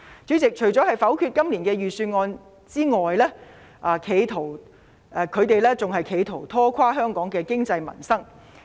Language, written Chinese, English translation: Cantonese, 主席，除了否決今年的預算案外，他們更企圖拖垮香港的經濟民生。, Chairman apart from rejecting the Budget this year they also try to ruin the economy of Hong Kong and peoples livelihood